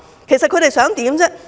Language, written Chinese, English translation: Cantonese, 其實他們想怎樣呢？, What do these people actually want?